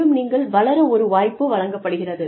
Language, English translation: Tamil, And, you are given an opportunity, to grow